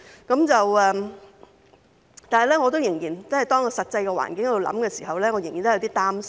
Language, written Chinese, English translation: Cantonese, 但是，當我想到實際環境的時候，仍然有點擔心。, Nevertheless when I think about the actual situation I am still a bit worried